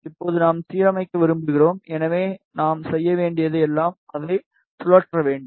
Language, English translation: Tamil, Now we want to align, so all we need to do is we need to just rotate it